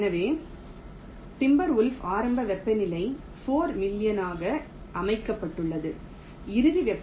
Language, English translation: Tamil, so in timber wolf the initial temperature was set to four million, final temperature was point one